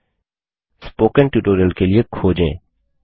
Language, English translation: Hindi, Search for spoken tutorial